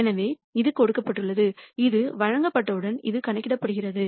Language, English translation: Tamil, So, this is given this is calculated once this is given